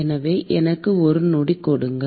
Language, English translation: Tamil, So, give me a sec